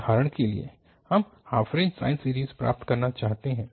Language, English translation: Hindi, We want to obtain for instance the half range sine series